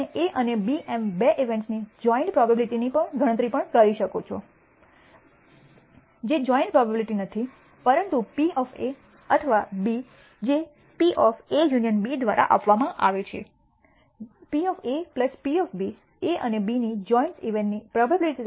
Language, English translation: Gujarati, You can also compute the probability joint probability of two events A and B, which is not joint probability, but the probability of A or B which is given by P of A union B can be derived as P of A probability of A plus probability of B minus the probability of joint occurrence of A and B